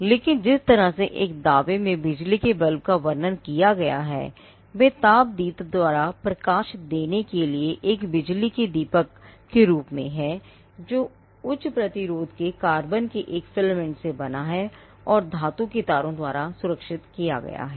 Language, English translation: Hindi, But the way in which the electric bulb is described in a claim is as an electric lamp for giving light by incandescent consisting of a filament of carbon of high resistance made as described and secured by metallic wires as set forth